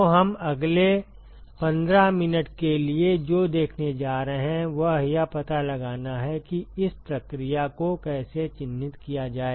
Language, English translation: Hindi, So, what we are going to see for the next 15 minutes or so is to find out how to characterize this process